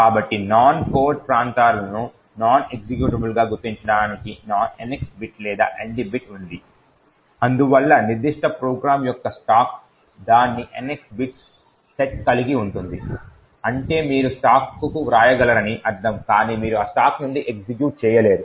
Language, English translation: Telugu, So, the NX bit or the ND bit is present to mark the non code regions as non executable thus the stack of the particular program would be having its NX bits set which would mean that you could write to the stack but you cannot execute from that stack